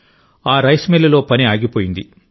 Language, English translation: Telugu, Work stopped in their rice mill